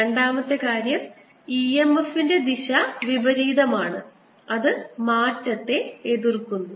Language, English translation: Malayalam, the second thing is that the direction of e m f is opposite, such that it opposes the change